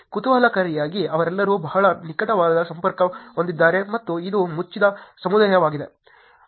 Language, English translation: Kannada, Interestingly, they are all connected very closely and it is a closed community